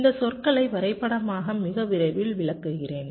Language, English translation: Tamil, so i shall be explaining these terminologies graphically very shortly